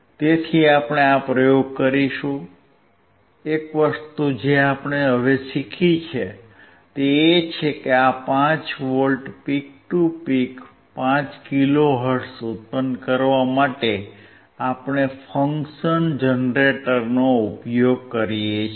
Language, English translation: Gujarati, So, we will do this experiment so, the one thing that we have now learn is that for generating this 5V peak to peak 5 kilo hertz; for that we are using the function generator